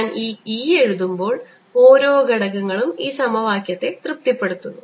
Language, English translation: Malayalam, when i am writing this e, that means each component satisfies this equation